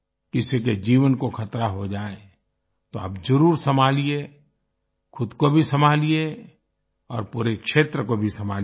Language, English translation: Hindi, If someone's life is in danger then you must take care; take care of yourself, and also take care of the entire area